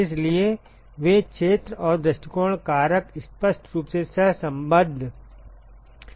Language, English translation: Hindi, So, the areas and the view factors they are obviously correlated